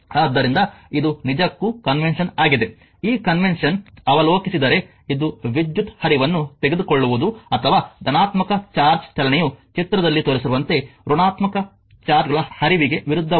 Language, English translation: Kannada, So, this is actually convention therefore, if you look into that the convention is, this is the convention is to take the current flow or the movement of positive charge is that is opposite to the flow of the negative charges as shown in figure this is figure 1